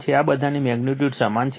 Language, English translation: Gujarati, These are all magnitudes the same